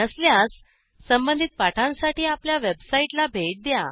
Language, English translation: Marathi, If not, watch the relevant tutorials available at our website